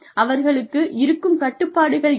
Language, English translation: Tamil, You know, what are their constraints